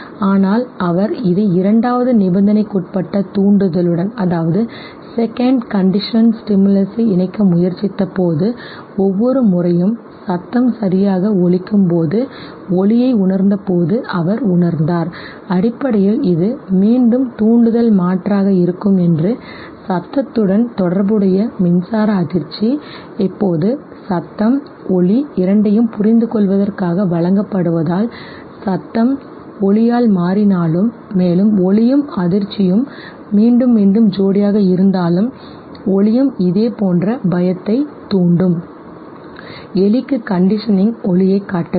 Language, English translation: Tamil, But when he tried to pair this with the second conditioned stimulus that is light, he realized the light when it was turned each time the tone was sounded okay, basically this was again stimulus substitution, electric shock associated with the tone, now tone as well as light both are given to understand it, is it that if tone is replaced by light, will light also induce similar fear okay, and even though the light and the shock were repeatedly pairedIt was realized that the rat did not show that conditioning to light okay